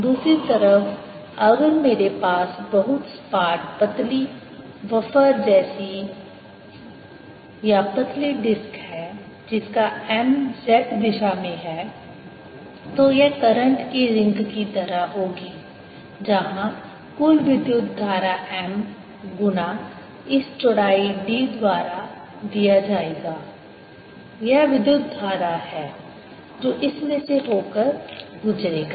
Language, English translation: Hindi, on the other hand, if i have a very flat, thin wafer like or thin disc like thing, with m in z direction, this will be like a ring of current where the total current will be given by m times this width d